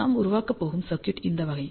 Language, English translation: Tamil, And the circuit that we are going to build is of this type